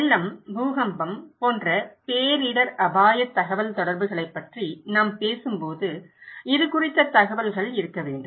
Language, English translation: Tamil, When we are talking about disaster risk communications, like flood, earthquake, so there should be informations about this